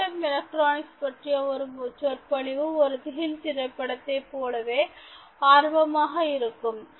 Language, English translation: Tamil, so a lecture about quantum electronics can be as uninspiring as a horror movie in terms of thinking creatively